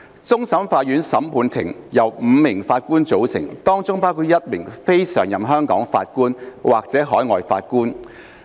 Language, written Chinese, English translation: Cantonese, 終審法院審判庭由5名法官組成，當中包括一名非常任香港法官或海外法官。, CFA is constituted by five judges including either a non - permanent Hong Kong judge or an overseas judge